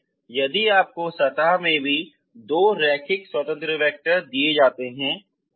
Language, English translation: Hindi, So you can find two linearly independent solutions